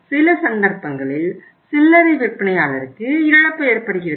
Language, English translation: Tamil, In some cases there is a loss to the retailer